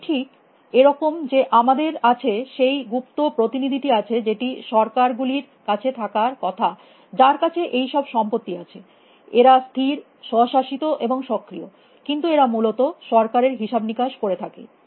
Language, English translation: Bengali, It is just like we have that secret agents and the governments are supposed to have who have all these properties they are persistent, autonomous and proactive, but they carry out the billing of the government essentially